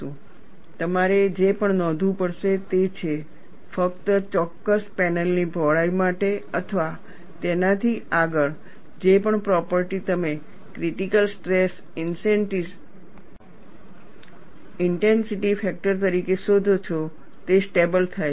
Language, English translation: Gujarati, And what you will also have to notice is, only for a particular panel width or beyond that, whatever the property you find out as critical stress intensity factor, it stabilizes